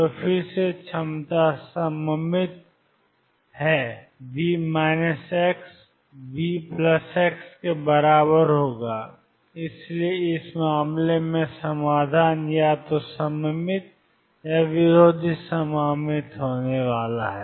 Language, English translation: Hindi, So, again the potential is symmetric V minus x equals V plus x and therefore, the solution is going to be either symmetric or anti symmetric in this case it